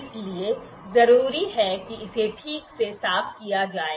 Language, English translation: Hindi, So, it is important to clean it properly